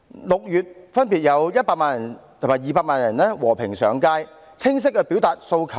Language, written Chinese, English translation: Cantonese, 6月分別有100萬人和200萬人和平上街，清晰地表達訴求。, In June 1 million and 2 million people respectively took to the streets peacefully to express their demands loud and clear